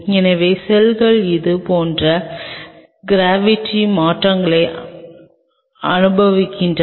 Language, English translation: Tamil, So, the cells experience changes in the gravity like this